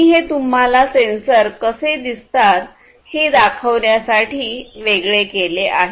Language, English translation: Marathi, I picked up these ones in order to show you how different sensors look like